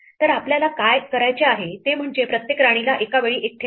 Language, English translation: Marathi, So, what we have to do is place each queen one at a time